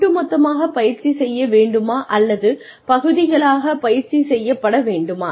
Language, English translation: Tamil, And whether, it should be practiced as a whole, or in parts